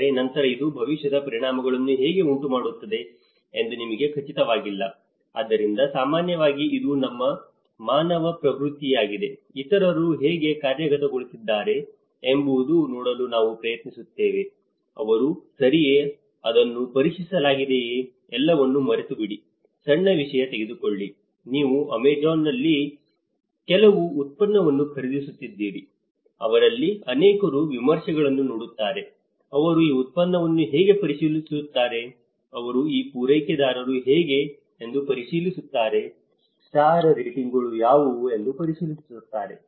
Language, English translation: Kannada, But then we are not sure how it is going to have a future consequences so, normally it is our human tendency, we try to see that how others have implemented, are they okay, has it been tested, forget about everything, just take a small thing, you are buying some product in Amazon, many of them I have seen when they look at it they see the reviews, they reviews how this product is, they reviews how that supplier is, what is the star ratings